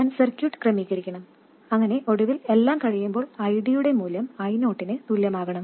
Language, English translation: Malayalam, I should configure the circuit so that finally when everything settles down this value of ID should become equal to I 0